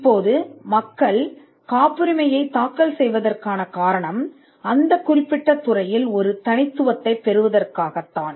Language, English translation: Tamil, Now the reason why people file patents are to get a exclusivity in the field